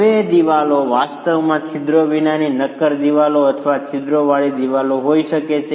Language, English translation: Gujarati, Now the walls can actually be solid walls with no perforations or walls with perforations